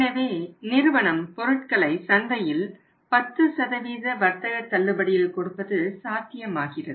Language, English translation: Tamil, So, there is a possibility that company can sell the product in the market at 10% trade discount